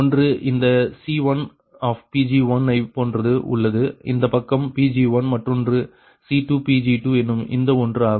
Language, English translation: Tamil, one is like this: c one, pg one, this side, pg one another is c two, pg two, this one